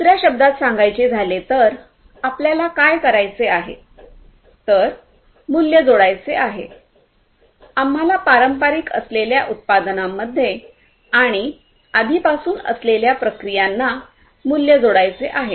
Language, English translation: Marathi, In other words, what we want to do is that we want to add value; we want to add value to the products and the processes that are already there, the traditional ones